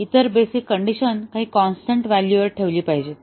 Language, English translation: Marathi, The other basic condition should be held at some constant value